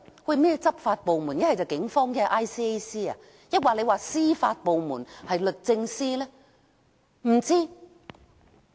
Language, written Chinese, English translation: Cantonese, 甚麼執法部門？不是警方便是 ICAC， 抑或是司法部門，是律政司嗎？, I do not know if the law enforcement agencies are the Police ICAC or the judiciary ie